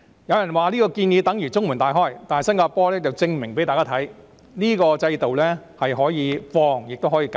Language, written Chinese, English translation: Cantonese, 有人說這個建議等於中門大開，但新加坡已向大家證明，這個制度既可擴展，亦可收緊。, Some people say that this suggestion is tantamount to leaving the door wide open . Nevertheless Singapore has proved that this system can be expanded or tightened